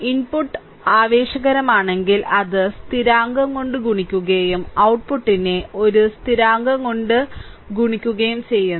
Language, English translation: Malayalam, If the input is excitation, and it is multiplied by constant, then output is also multiplied by the same constant